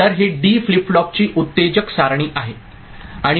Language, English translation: Marathi, So this is the excitation table of D flip flop